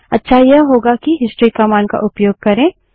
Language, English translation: Hindi, A better way is to use the history command